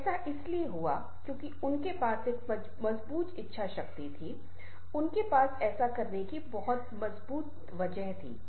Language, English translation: Hindi, this happened because they had a strong desire, they had a very strong willpower to that too, to do that